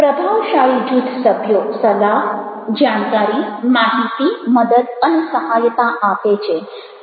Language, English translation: Gujarati, effective group members offer advice, knowledge, information, help and support